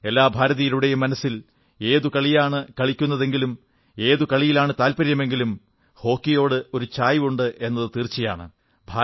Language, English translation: Malayalam, Each Indian who plays any game or has interest in any game has a definite interest in Hockey